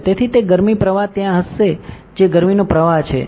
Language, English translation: Gujarati, So, that heat flux will be there which is the flow of heat